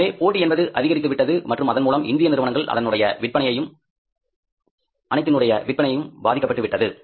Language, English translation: Tamil, So, the competition has gone up and it has affected the sales of all the Indian companies